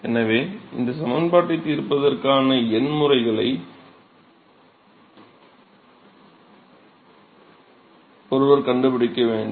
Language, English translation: Tamil, So, one has to find this solution is the numerical methods to solve this equation